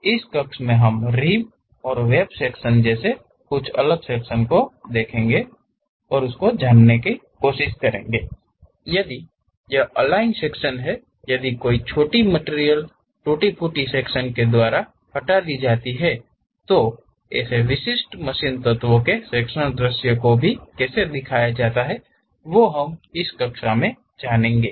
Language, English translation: Hindi, In today's class, we will learn about how to represent rib and web sections; if there are aligned sections, if there is a small material is removed by brokenout sections and how typical machine elements in this sectional view be represented